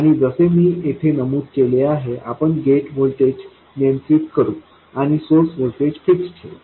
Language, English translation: Marathi, And as mentioned here, we will control the gate voltage and keep the source voltage fixed